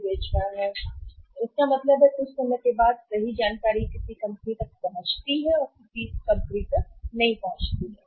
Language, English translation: Hindi, So, it means sometime the correct information reaches to some company sometime the correct information does not reach to the companies